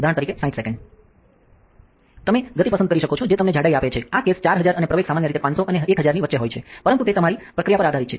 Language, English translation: Gujarati, You can select the speed which give you the thickness this case 4000 and the acceleration normally between 500 and 1000, but its depending on your process